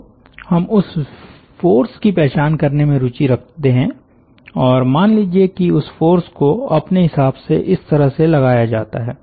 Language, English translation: Hindi, so we are interested to identify that force and let us say that that force is directed like this